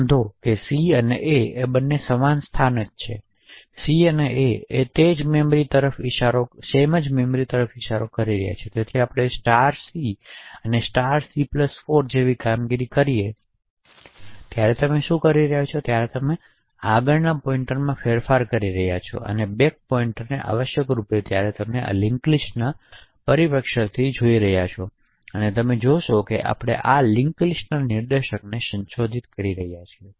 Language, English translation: Gujarati, Note that c and a are essentially the same location, c and a are pointing to the same memory chunk therefore when we have operations like c and *c and *(c+4) what you are essentially doing is modifying the forward pointer and the back pointer essentially when we look at this from a linked list perspective what you would notice is that we are modifying the linked list pointers